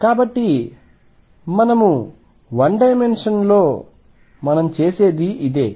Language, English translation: Telugu, So, this is what we do in 1 dimension what about 3 dimensions